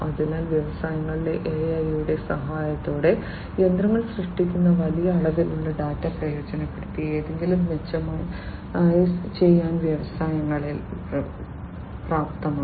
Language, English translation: Malayalam, So, with the help of AI in industries, in the industries are capable of taking the advantage of large amount of data that is generated by the machines to do something better